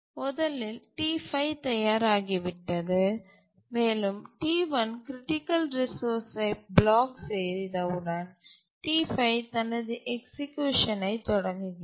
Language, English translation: Tamil, And then as soon as the T1 blocks for the critical resource, T5 starts executing